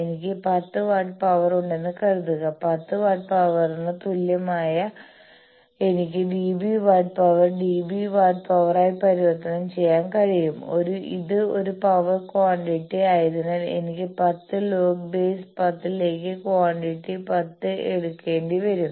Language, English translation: Malayalam, Suppose, I have 10 watts of power, 10 watts of power then equivalently, this I can also convert to dB watt of power dB w of power, how since it is a power quantity I will have to take 10 log to the base 10, this quantity 10